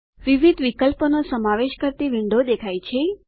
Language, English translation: Gujarati, The window comprising different options appears